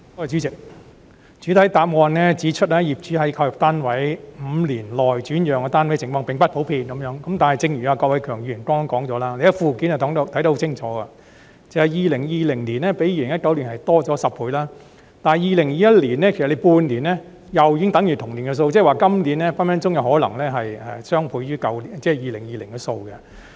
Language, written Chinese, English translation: Cantonese, 主席，主體答覆指出，業主在購入單位5年內轉讓單位的情況並不普遍，但正如郭偉强議員剛才所說，從附件可清楚看到 ，2020 年較2019年的數字增加10倍，單是2021年首半年，已經等於2020年全年的數字，即是說，今年的數字隨時可能是2020年的雙倍。, President as pointed out in the main reply it is not common for SSF owners to resell their flats within the first five years of purchase . But as Mr KWOK Wai - keung pointed out just now and as can been clearly seen from the Annex the number in 2020 is 10 times higher than the number in 2019; and the number in the first half of 2021 alone is already comparable to that in 2020 meaning that the number this year may double that of 2020